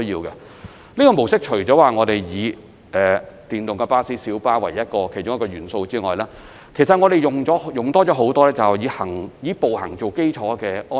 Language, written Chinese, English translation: Cantonese, 此系統除了採用電動巴士和小巴作為其中一個元素之外，其實我們亦增加了很多以步行為基礎的安排。, While deploying electric buses and minibuses is one of the elements under this system in fact we have also added a lot of pedestrian - based arrangements